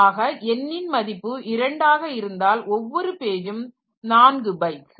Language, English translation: Tamil, So, n equal to 2 is that that is 2 bits per